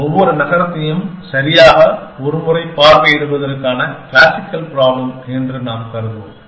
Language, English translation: Tamil, And we will assume that, the classical problem of visiting each city exactly once